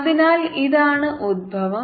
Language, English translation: Malayalam, so this is the origin